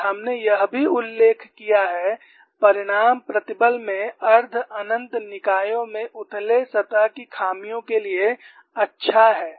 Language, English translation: Hindi, And we have also mentioned the result is good for shallow surface flaws in semi infinite bodies in tension